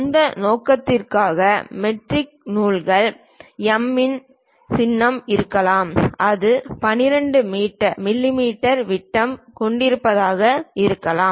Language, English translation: Tamil, The metric threads for that purpose there is a symbol M perhaps it might be having a diameter of 12 mm